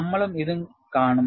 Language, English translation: Malayalam, We will also see them